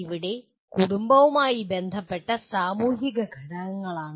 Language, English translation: Malayalam, Here social factors that is the family related issues